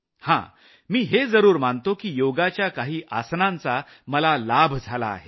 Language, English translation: Marathi, I do concede however, that some yogaasanaas have greatly benefited me